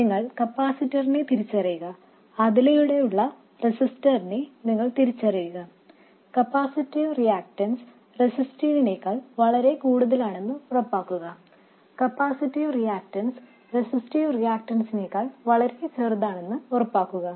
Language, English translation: Malayalam, You identify the capacitor, you identify the resistor across it and make sure that the capacitive reactance is much more than the resistive